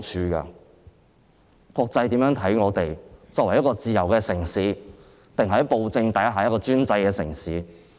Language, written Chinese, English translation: Cantonese, 我們希望國際把我們看作一個自由的城市，還是在暴政下的專制城市？, Do we want the international community to regard us as a free city or an authoritarian city under a tyrannical regime?